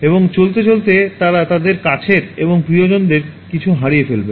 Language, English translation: Bengali, And while moving they will lose some of their near and dear ones